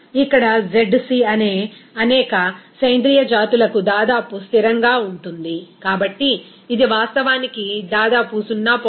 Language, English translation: Telugu, Since here this zc is nearly a constant for many organic species, it is actually about 0